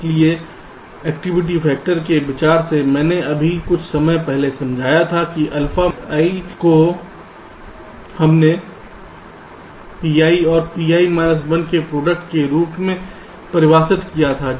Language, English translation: Hindi, so, activity factor, from the consideration i explained just now, sometime back, alpha i we defined as the product of p